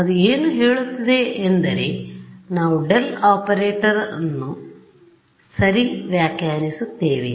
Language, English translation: Kannada, So, what it says is let us reinterpret the del operator itself ok